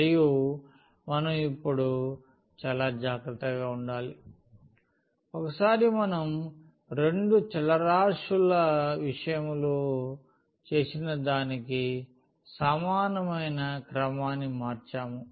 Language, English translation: Telugu, And we have to be very careful now, once we change the order similar to what we have done in case of 2 variables